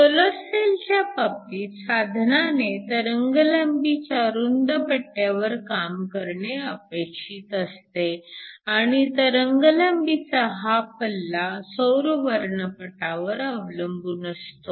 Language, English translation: Marathi, In the case of a solar cell, we need the device to work over a broad wavelength range and this wavelength range depends upon the solar spectrum